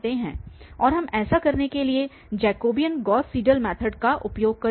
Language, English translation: Hindi, And we will use the Jacobian Gauss Seidel method to do this